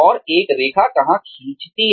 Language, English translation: Hindi, And, where does one draw the line